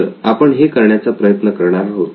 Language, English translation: Marathi, So that is what we are going to do